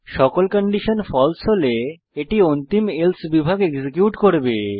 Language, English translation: Bengali, If all the conditions are false, it will execute the final Else section